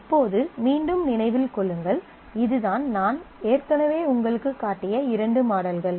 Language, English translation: Tamil, Now mind you again this is these are the two models that we have I have already shown you